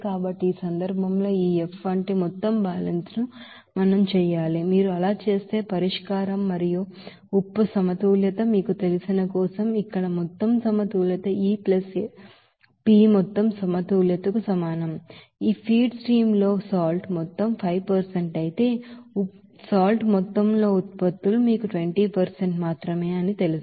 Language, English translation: Telugu, So in this case, we have to do the overall balance like this F will be is equal to E + P overall balance here for the you know solution and salt balance if you do that, in this feed stream the salt amount is 5% whereas products in salt amount is you know only 20%